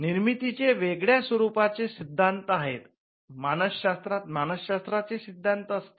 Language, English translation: Marathi, They were various theories on creativity you had psychology theories in psychology and theories in cognitive science as well